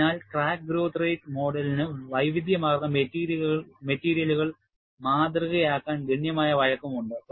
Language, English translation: Malayalam, So, the crack growth rate model has considerable flexibility to model a wide variety of materials